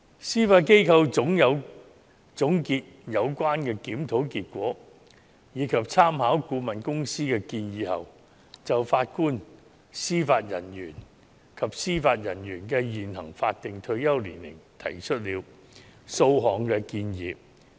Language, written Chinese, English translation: Cantonese, 司法機構總結有關檢討結果，以及參考顧問公司的建議後，就法官及司法人員的現行法定退休年齡提出了數項建議。, After the Judiciary had summed up the results of the review and made reference to the consultants recommendations it made a number of recommendations on the statutory retirement age of JJOs